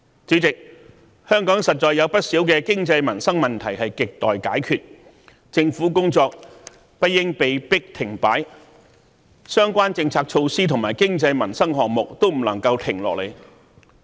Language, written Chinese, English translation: Cantonese, 主席，香港實在有不少經濟、民生問題亟待解決，政府工作不應被迫停擺，相關政策措施和經濟民生項目都不能停下來。, President there are indeed many pressing economic and livelihood issues in Hong Kong to be resolved the work of the Government should not be forced to come to a standstill and it should keep implementing the related policy measures as well as economic and livelihood programmes